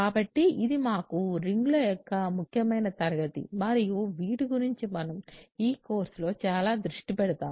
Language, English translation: Telugu, So, this is an important class of rings for us and that we will focus a lot on this course